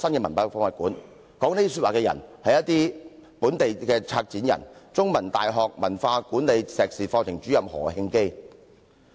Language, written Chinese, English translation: Cantonese, 說出剛才這番話的，正是本地的策展人——香港中文大學文化管理碩士課程主任何慶基。, The above comment is actually made by a local curator―Prof Oscar HO Programme Director of the MA programme in Cultural Management of The Chinese University of Hong Kong